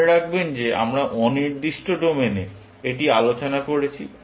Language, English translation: Bengali, Remember, we are discussing this in domain independent fashion